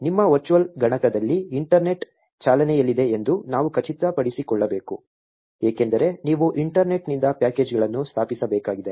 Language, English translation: Kannada, We need to make sure that the internet is running on your virtual machine because you need to install packages from the internet